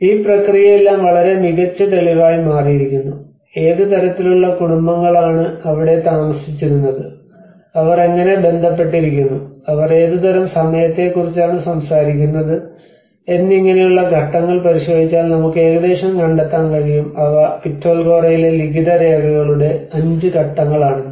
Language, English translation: Malayalam, \ \ So, all this process has been become a very rich evidence to know that what kind of families used to live around, how they are connected, what kind of time they were talking about and like that if you look at the phases, we find nearly 5 phases of inscriptional records at the Pitalkhora